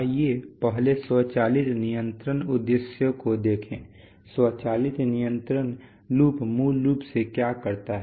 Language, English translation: Hindi, Let us first look at the automatic control objectives, what does an automatic control loop basically does